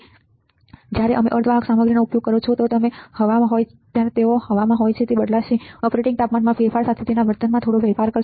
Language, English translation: Gujarati, And when you are using semiconductor material it has air it will change, it will slightly change its behavior with change in the operating temperature